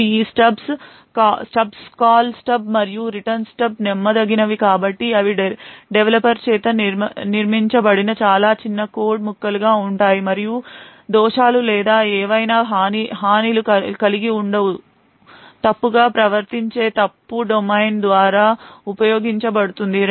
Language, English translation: Telugu, Call Stub and the Return Stubs are trusted, so they would be extremely small pieces of code built by the developer itself and have no bugs or any vulnerabilities which could be utilized by a misbehaving fault domain